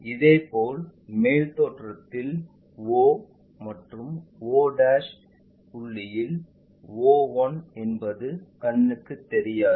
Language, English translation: Tamil, So, when we are looking at this in the top view, o will be visible o one will be invisible